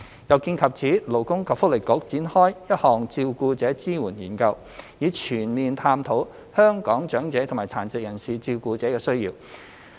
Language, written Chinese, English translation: Cantonese, 有見及此，勞工及福利局展開一項照顧者支援研究，以全面探討香港長者和殘疾人士照顧者的需要。, To address this the Labour and Welfare Bureau has launched a study on support for carers to explore thoroughly the needs of carers of elderly persons and persons with disabilities in Hong Kong